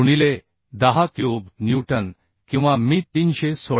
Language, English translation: Marathi, 1 into 10 cube newton or I can say 316